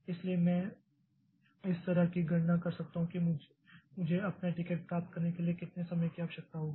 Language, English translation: Hindi, So, I can calculate like how much time I will need to get my ticket